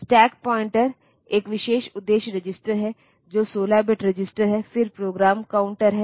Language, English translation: Hindi, So, this is a special purpose register which is a 16 bit register, then there is program counter